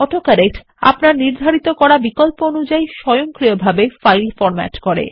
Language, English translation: Bengali, AutoCorrect automatically formats the file according to the options that you set